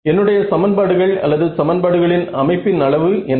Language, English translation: Tamil, So, my sparse system what is the size of my equations system of equations